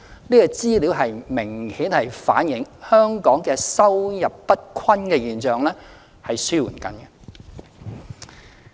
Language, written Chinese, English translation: Cantonese, 這項資料明顯反映，香港收入不均的現象正在紓緩。, This has clearly reflected a shrinking disparity in income in Hong Kong